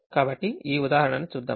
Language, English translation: Telugu, so let us look at this example